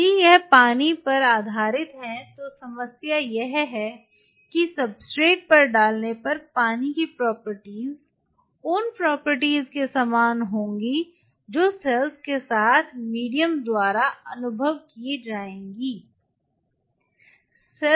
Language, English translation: Hindi, If it is on a water base the problem is this the properties of the water upon putting on the substrate will be similar to the properties which will be experienced by the medium along with the cells